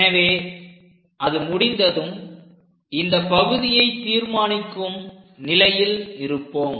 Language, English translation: Tamil, So, once it is done, we will be in a position to construct this part